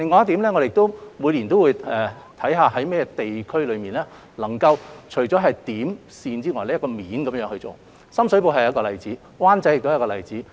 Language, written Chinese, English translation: Cantonese, 此外，我們每年都會看看在甚麼地區除了可以循"點"、"線"方向工作之外，還可以循"面"去做，深水埗就是一個例子，灣仔亦是一個例子。, Moreover each year we will examine districts using a plane approach apart from using the point and line approaches . The Sham Shui Po District is precisely one such example and Wan Chai as well